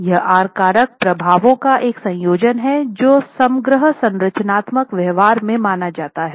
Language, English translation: Hindi, So this R factor is a combination of effects that are considered in the overall structural behavior